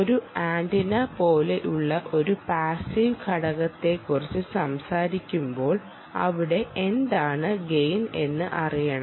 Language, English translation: Malayalam, so, when you talk about a passive element like an antenna, what is gain there